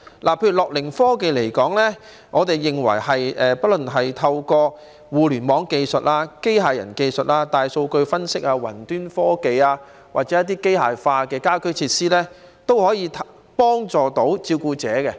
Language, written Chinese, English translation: Cantonese, 關於樂齡科技，我們認為不論是透過互聯網技術、機械人技術、大數據分析、雲端科技或是機械化的家居設施，也可以幫助照顧者。, As regards gerontechnology we believe support can be provided to carers through Internet technologies robotics big data analysis cloud technologies or mechanized in - flat facilities